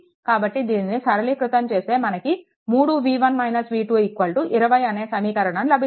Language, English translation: Telugu, So, after simplification we will get this equations 3 v 1 minus v 3 is equal to 20